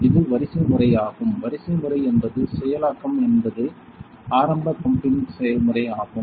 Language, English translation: Tamil, This is the hierarchy; hierarchy means to process this is the initial pumping process